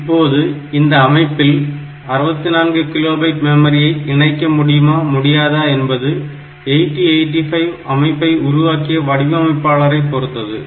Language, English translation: Tamil, Now, whether the system will have 64 kilobyte or memory or not that depends on the designer of the system that uses is 8085 as the basic processor